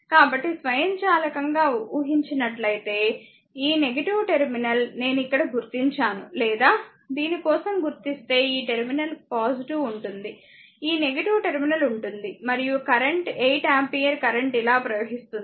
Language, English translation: Telugu, So, automatically as that assume minus this terminal will I am not marking here, or marking for you this terminal will be plus this terminal will be minus and current is 8 ampere current is flowing like this